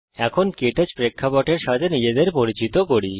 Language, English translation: Bengali, Now, lets familiarize ourselves with the KTouch interface